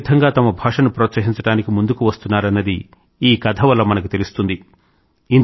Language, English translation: Telugu, After reading that story, I got to know how people are coming forward to promote their languages